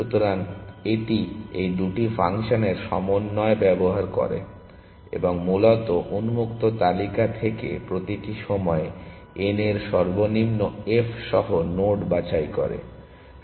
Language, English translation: Bengali, So, it uses the combination of these two functions; and basically picks node with lowest f of n at every point of time from the open list essentially